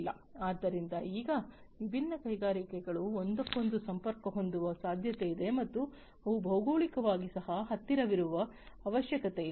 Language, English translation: Kannada, So, now, it is possible that different industries would be connected to each other and they may not be geographically co located